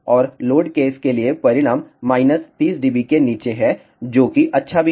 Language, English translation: Hindi, And for load case the results are well below minus 30 dB which is also good